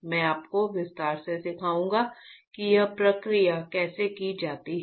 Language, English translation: Hindi, I will teach you in detail how that is the process is done right